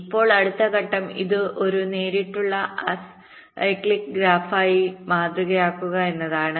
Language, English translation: Malayalam, now the next step is to model this as a direct acyclic graph